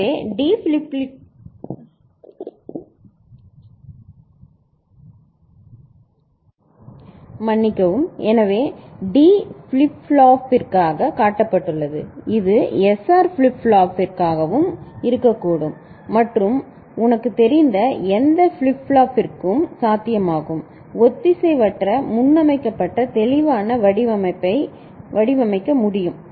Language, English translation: Tamil, So, this has been shown for D flip flop it could be for SR flip flop also it could be possible for any flip flop this kind of you know, asynchronous preset clear can be designed